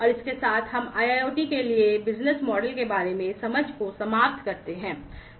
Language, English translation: Hindi, And with this we come to an end of the understanding about the business models for IIoT